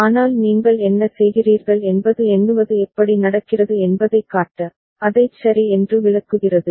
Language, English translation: Tamil, But what you are doing just to show that how counting happens, to illustrate that ok